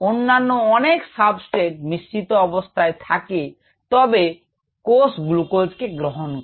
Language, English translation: Bengali, if there is a mixture of substrates, cells tend to prefer glucose